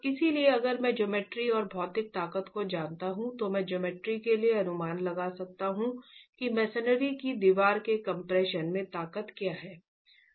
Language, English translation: Hindi, So if I were, if I know the geometry and the material strengths, can I for the geometry estimate what the strength in compression of the masonry wall is